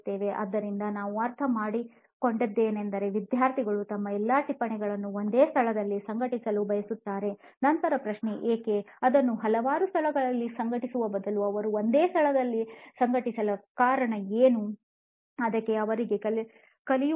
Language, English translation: Kannada, So then what we understood is students want to organize all their notes in one place, then the question would be why, why would they want to organize it in one place instead of having it in several places